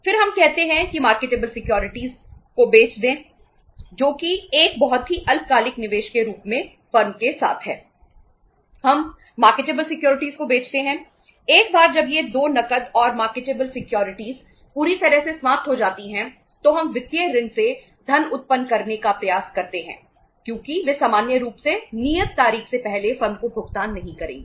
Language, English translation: Hindi, Once these 2 cash and the marketable securities are fully exhausted then we try to generate funds from the sundry debtors and sundry debtors because they will not make the payment to the firm uh before the due date normally